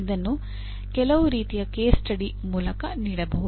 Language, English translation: Kannada, This can be given as some kind of case study